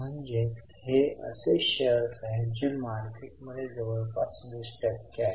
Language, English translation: Marathi, That means these are the shares which are freely traded in the market which is about 20%